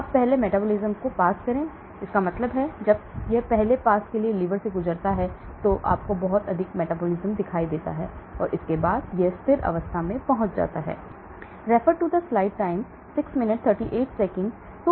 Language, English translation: Hindi, Now first pass metabolism, that means when it goes through the liver of the first pass, you see lot of metabolism and after that it reaches a steady state